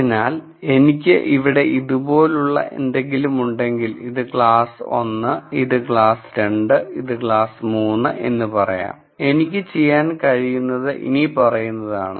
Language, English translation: Malayalam, So, when I have something like this here let us say this is class 1, this is class 2 and this is class 3 what I could possibly do is the following